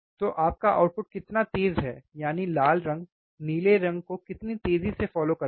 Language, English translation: Hindi, So, how fast your output that is your red follows your blue